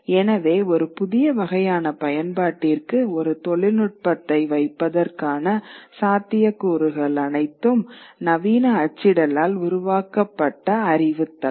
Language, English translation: Tamil, So, and all this possibility of putting one technology for a new kind of use comes with the knowledge base that has been put, knowledge network that has been created by modern printing